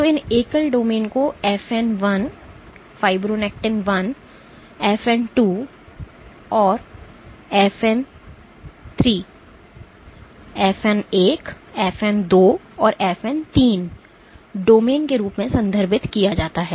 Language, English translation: Hindi, So, these individual domains are referred to as FN I, FN II and FN III domains